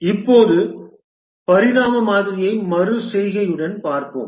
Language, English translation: Tamil, Let's look at the evolutionary model